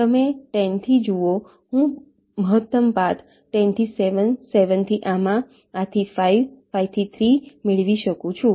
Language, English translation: Gujarati, you see, from ten i can get a maximum path ten to seven, seven to this, this to five, five to three